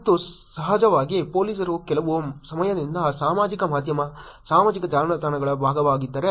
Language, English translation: Kannada, And of course, there the police is being part of the social media, social networks for some time now